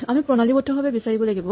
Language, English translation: Assamese, So, we have to systematically search for it